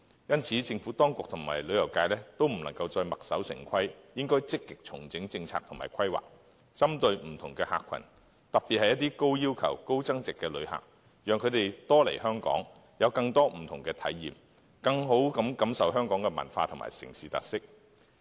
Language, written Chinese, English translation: Cantonese, 因此，政府當局和旅遊業界都不能再墨守成規，應積極重整政策及規劃，針對不同的客群，特別是一些高要求、高消費的旅客，讓他們多來香港，有更多不同的體驗，更好地感受香港的文化和城市特色。, Hence the Administration and the tourism industry can no longer be stuck in a rut but should actively adjust its policy and make plans to cater for different clientele groups especially the high - spending visitors who have higher expectations . We should attract more of such visitors to Hong Kong by offering them a bigger variety of special experiences so that they can better appreciate Hong Kongs unique cultural and urban characteristics